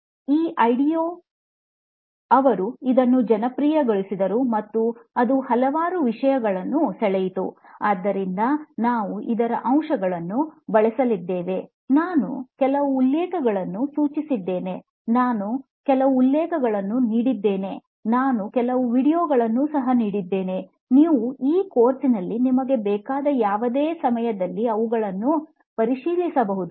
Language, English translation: Kannada, com, this IDEO, they were the ones who made it popular and it caught on to several, so we are going to be using elements of this, I have suggested some references, also I have given some references, I have also given some videos, you can check them out any time you want during this course